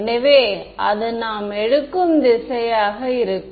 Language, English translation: Tamil, So, that is going to be the direction that we will take at ok